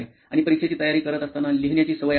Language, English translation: Marathi, And do you have the habit of writing while you are preparing for exam